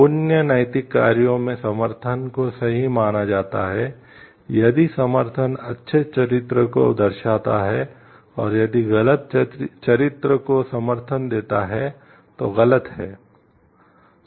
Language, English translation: Hindi, In virtue ethics actions are considered to be right if the support good character traits, and wrong if the support bad character traits